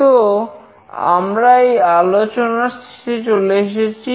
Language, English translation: Bengali, So, we have come to the end of this lecture